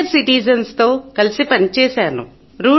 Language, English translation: Telugu, I work with senior citizens